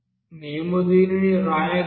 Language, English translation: Telugu, So we can write this